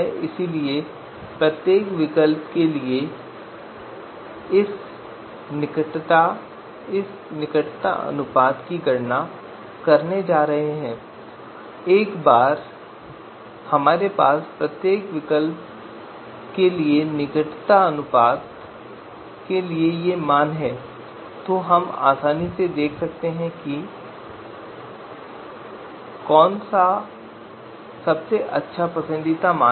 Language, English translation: Hindi, So for each of the alternatives we are going to compute this closeness ratio and once we have the these you know these these values for you know closeness ratio for each alternative then we can easily see which one is the best preferred